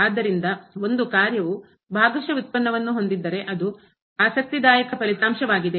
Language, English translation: Kannada, So, if a function can have partial derivative that is a interesting result